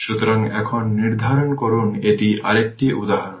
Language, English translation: Bengali, So, determine now this is another example